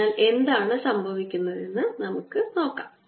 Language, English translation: Malayalam, so let's see what is happening